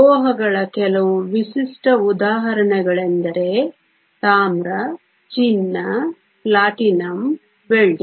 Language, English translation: Kannada, Some typical examples of metals are Copper, Gold, Platinum, Silver